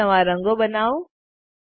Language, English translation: Gujarati, Create some new colors